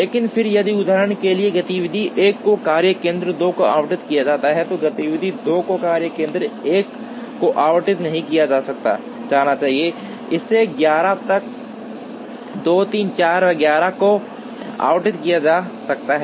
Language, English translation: Hindi, But, then if for example, activity 1 is allotted to workstation 2, then activity 2 should not be allotted to workstation 1, it can be allotted to 2, 3, 4 etcetera till 11